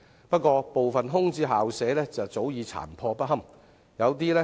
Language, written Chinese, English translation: Cantonese, 不過，部分空置校舍早已殘破不堪。, However some of the vacant school premises are already seriously dilapidated